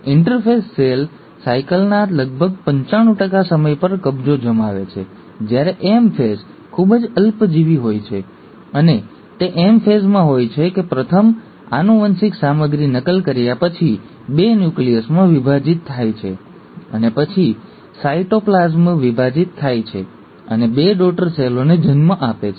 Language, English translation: Gujarati, Now interphase occupies almost ninety five percent of the time of a cell cycle, while ‘M phase’ is much short lived, and it's in the M phase that first the genetic material, after being duplicated, the nucleus divides into two nuclei and then the cytoplasm divides and gives rise to two daughter cells